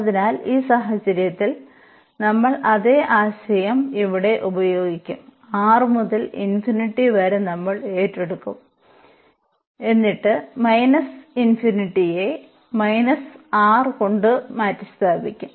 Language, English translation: Malayalam, So, in this case we will use the same idea here the limit we will take over R to infinity and this infinity will be replaced by minus R